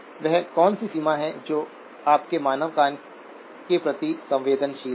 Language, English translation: Hindi, What is the range that your, human ears sensitive to